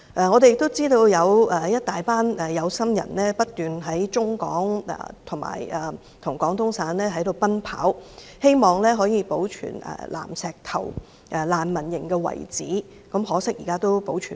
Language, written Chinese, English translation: Cantonese, 我們亦知道，有些有心人不斷在香港與廣東省之間奔走，希望保存南石頭難民營的遺址可惜，現在已無法保存。, We also know that some well - intentioned people are constantly travelling between Hong Kong and Guangdong hoping to preserve the ruins of the Nanshitou refugee camp but it is a pity that the ruins can no longer be preserved